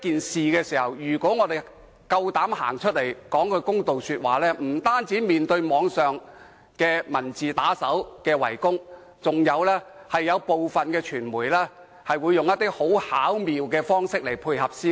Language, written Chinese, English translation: Cantonese, 事實上，如果我們有勇氣走出來就這件事說句公道話，我們不但會面對網上文字打手的圍攻，更有部分傳媒會以一些很巧妙的方式配合，向我們施壓。, In fact if we have the courage to step forward and speak something in fairness we will be attacked online by thuggish writers and some media will also ingeniously act in coordination putting pressure on us